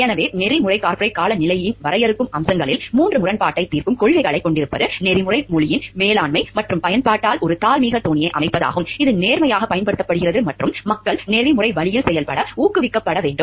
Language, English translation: Tamil, So, one of the defining features of ethical corporate climate is having conflict resolution policies is having as setting up a moral tone by the management and use of ethical language, which is applied honestly and people should be encouraged to function in an ethical way